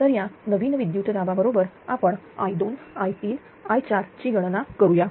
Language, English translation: Marathi, So, with this new voltages right we calculate i 2, i 3 and i 4